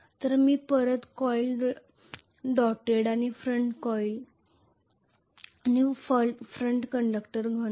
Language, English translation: Marathi, So I am going to have the back coil doted and front coil front conductor solid